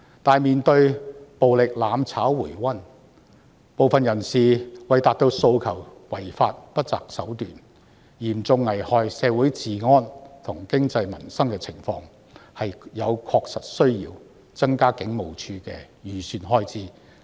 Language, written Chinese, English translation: Cantonese, 可是，面對暴力"攬炒"回溫，部分人士為達致訴求而違法及不擇手段，以致嚴重危害社會治安、經濟及民生的情況，確實有需要增加警務處的預算開支。, However in the face of the revival of violent mutual destruction and the fact that some people resort to unlawful and unscrupulous means to achieve their demands thereby posing a serious threat to law and order the economy and peoples livelihood in Hong Kong there is thus a genuine need for HKPF to increase the estimated expenditure